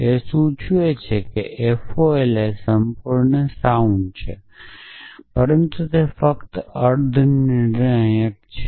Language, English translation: Gujarati, It terms out that that F O L is sound complete, but it is only semi decidable